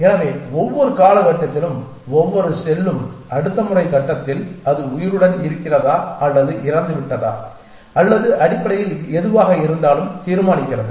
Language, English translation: Tamil, So, at every time step every cell decides whether in the next time step it will be alive or dead or whatever essentially